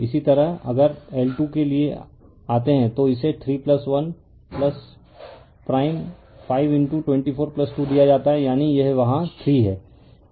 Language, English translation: Hindi, Similarly if you come for L 2 it is given 3 plus 1 plus prime 5 into 2 4 plus 2, that is here it is 3